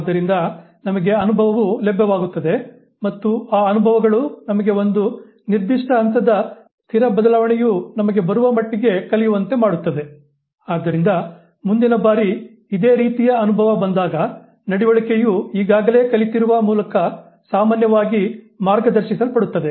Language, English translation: Kannada, So, we have our experience coming to us and those experiences which makes us learn to the extent that certain degree of stable change come to us so that next time when similar experience comes the behavior is by and large guided by whatever has already been learned